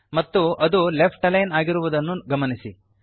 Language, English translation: Kannada, And note that it has been left aligned